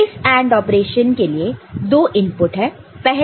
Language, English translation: Hindi, So, there are two inputs to this AND operation